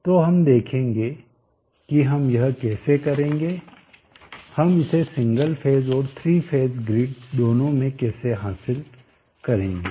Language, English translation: Hindi, So we will see how we will go about achieving this both in single phase and three phase grids